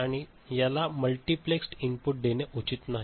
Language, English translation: Marathi, And for, multiplexed input it is not advisable